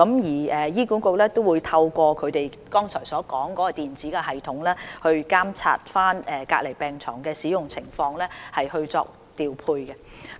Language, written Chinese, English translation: Cantonese, 醫管局亦會透過我剛才所說的電子系統，監察隔離病床的使用情況，以作調配。, HA will also monitor the utilization of these isolation beds for deployment through the electronic system I mentioned a moment ago